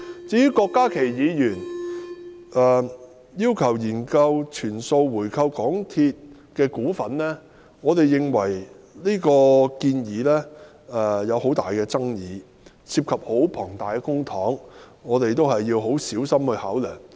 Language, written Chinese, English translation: Cantonese, 至於郭家麒議員要求"研究全數回購港鐵公司餘下的股份"，我們認為這項建議具很大爭議，涉及龐大公帑，我們要很小心考量。, Concerning Dr KWOK Ka - kis request for conducting a study on buying back all the remaining shares of MTRCL we find this proposal highly controversial . Since it involves a huge amount of public money we have to be very careful in our consideration